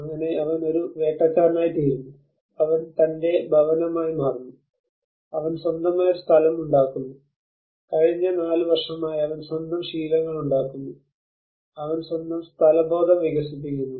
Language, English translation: Malayalam, So he becomes a hunter, he becomes his home, he makes his own place, he makes his own habits for the past 4 years he develops his own sense of place